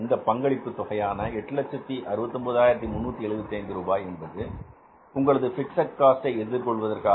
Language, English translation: Tamil, Contribution, this contribution of 8,069,000 is towards the meeting of your fixed cost